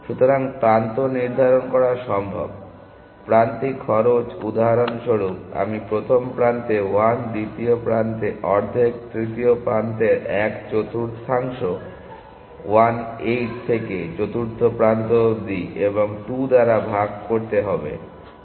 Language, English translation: Bengali, So, it is possible to assign edges, edge cost for example, I will assign 1 to the first edge, half to the second edge, one fourth to the third edge 1 8 to the fourth edge and keep dividing by 2